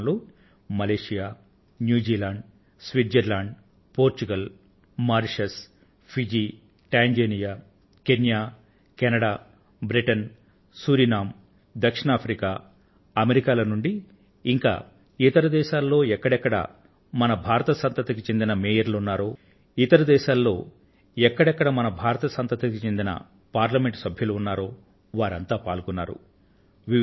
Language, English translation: Telugu, You will be pleased to know that in this programme, Malaysia, New Zealand, Switzerland, Portugal, Mauritius, Fiji, Tanzania, Kenya, Canada, Britain, Surinam, South Africa and America, and many other countries wherever our Mayors or MPs of Indian Origin exist, all of them participated